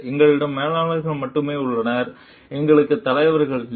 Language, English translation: Tamil, We have only managers; we do not have leaders